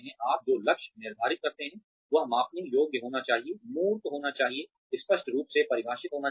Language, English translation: Hindi, The goals that you assign, should be measurable, should be tangible, should be clearly defined